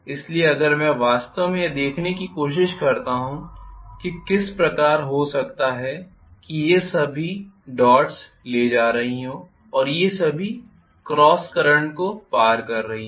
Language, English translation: Hindi, So if i try to look at really what is the kind of maybe all these things are carrying a dots and all these things are carrying a cross of current